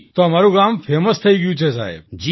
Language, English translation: Gujarati, So the village became famous sir